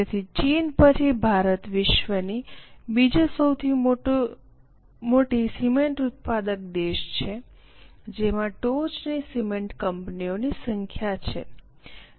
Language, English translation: Gujarati, So, India's second largest cement producer after China is a home to number of top cement companies